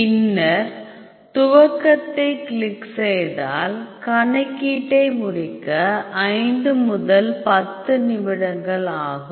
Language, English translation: Tamil, And then click launch it will take some time 5 to 10 minutes to finish the calculation